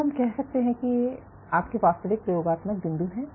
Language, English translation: Hindi, So, these are your actual experimental points